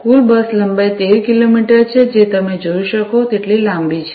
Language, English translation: Gujarati, The total bus length is 13 kilometres, which is quite long as you can see